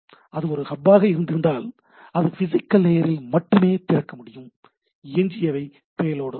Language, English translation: Tamil, Had it been there is a hub, so it could have opened only up to the physical layer, rest are is a payload of the things